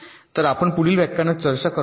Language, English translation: Marathi, so this we shall be discussing in our next lecture